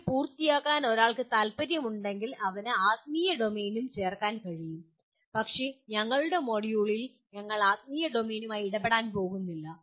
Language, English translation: Malayalam, If one wants to complete this he can also add spiritual domain but in our module we are not going to be dealing with spiritual domain